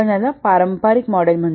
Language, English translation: Marathi, This will call as the traditional model